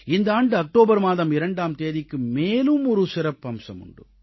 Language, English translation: Tamil, The 2nd of October, this year, has a special significance